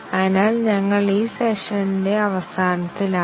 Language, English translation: Malayalam, So, we are just in the end of this session